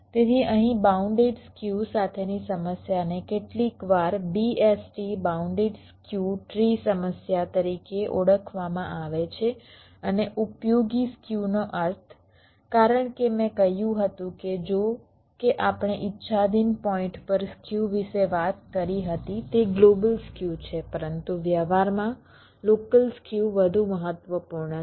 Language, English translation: Gujarati, fine, so here the problem with bounded skew is sometimes referred to as bst bounded skew, tree problem, and useful skew means, as i had said, that although we talked about skew across arbitrary points, it is the global skew, but in practice, local skews is more important